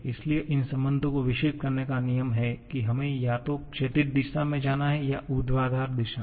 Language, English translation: Hindi, So, the rule of developing these relations is we have to go either in the horizontal direction or in the vertical direction